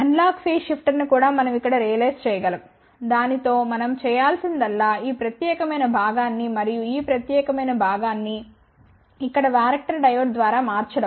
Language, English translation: Telugu, Now this is a digital phase shifter we can realize Analog phase shifter here also all we have to do with it is replace this particular portion and this particular portion by a varactor diode over here